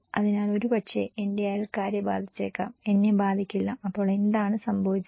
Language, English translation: Malayalam, So, maybe my neighbours will be affected, I will not be affected, so what happened